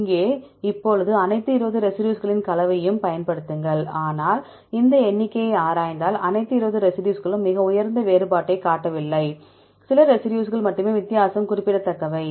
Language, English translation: Tamil, Also here now use the composition of all 20 residues, but if we look into this figure all 20 residues are not showing very high difference, only some residues the difference is significant